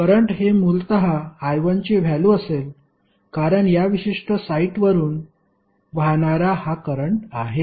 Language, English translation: Marathi, Current would be essentially the value of I 1 because this is the current which is flowing from this particular site